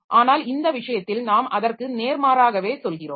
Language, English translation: Tamil, But in this case we are telling just the opposite